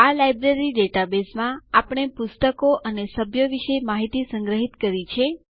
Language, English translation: Gujarati, In this Library database, we have stored information about books and members